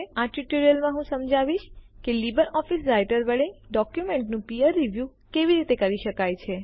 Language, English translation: Gujarati, In this tutorial I will explain how peer review of documents can be done with LibreOffice Writer